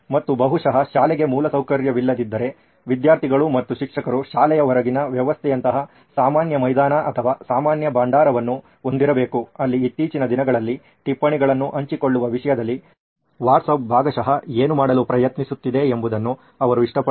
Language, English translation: Kannada, And probably if the school does not have infrastructure, the students and teacher should have a common ground or a common repository like a system outside school at least where they can like what WhatsApp is partially trying to do in terms of sharing notes nowadays